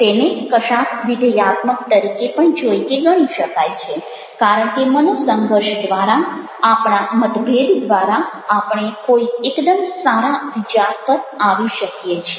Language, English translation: Gujarati, it can also be treated or seen something positive because through conflicts, through our differences, we might come up with some very good ideas